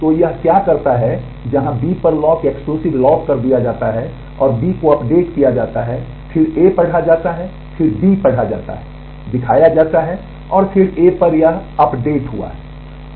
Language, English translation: Hindi, So, what it does this is where the lock exclusive lock on B is held and B is updated, then A is read then B is read display is done and then this update on a has happened